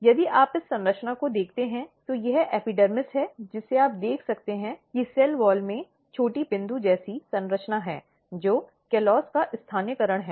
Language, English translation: Hindi, So, if you look this structure, this is epidermis you can see that in the cell wall there are small dot, dot, dot structure, which is localization of callose